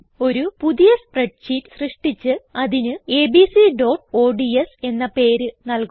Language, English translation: Malayalam, Lets create a new spreadsheet and name it as abc.ods